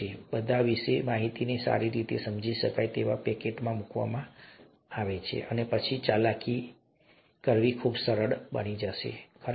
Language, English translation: Gujarati, They’ll all be, the information will be put into nicely understandable packets, and then it becomes much easier to manipulate them, right